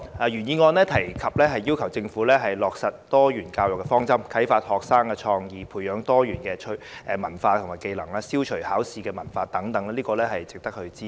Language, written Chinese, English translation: Cantonese, 原議案促請政府落實多元教育的方針，以啟發學生創意，培養他們多元志趣和技能，並消除應試文化等，值得支持。, The original motion is worth supporting because it urges the Government to among others implement a diversified education approach to inspire students creativity and cultivate diverse interests and skills in them and eliminate the examination - oriented culture